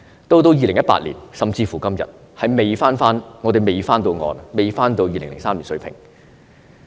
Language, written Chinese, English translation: Cantonese, 到了2018年，甚至是今天，我們仍未回到2003年水平。, In 2018 or even today the number of beds has yet to return to the level in 2003